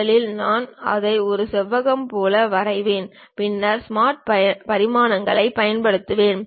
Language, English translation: Tamil, First I will draw it like a rectangle, then I will use Smart Dimensions